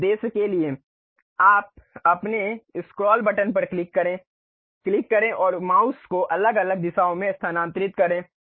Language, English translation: Hindi, For that purpose you click your scroll button, click and move the mouse in different directions ok